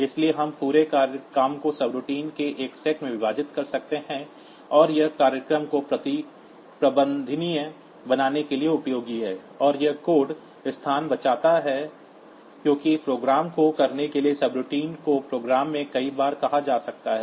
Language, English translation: Hindi, So, we can divide the whole job into a set of subroutines and that is useful for making the program manageable, and it saves code space because subroutines may be called several times in the say in the program for doing up